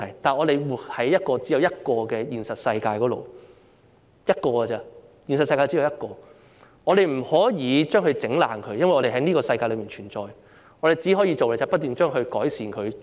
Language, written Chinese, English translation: Cantonese, 不過，我們是生活在一個現實世界裏，現實世界只有一個而已，我們不可以破壞它，因為我們存在於這個世界，我們可以做的只是不斷去改善它。, However we are living in a real world and there is only one real world . We cannot destroy it because we live in this world what we can do is to keep on improving it